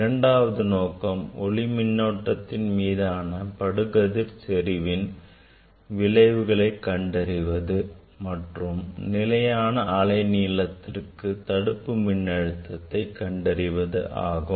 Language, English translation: Tamil, And second aim is, study the effect of the incident intensity of the photocurrent and the stopping potential at a fixed wavelength